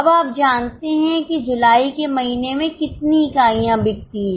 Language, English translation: Hindi, Now you know the number of units sold in the month of July